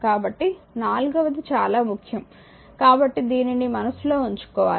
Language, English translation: Telugu, So, the fourth one is very important right so, this should be in your mind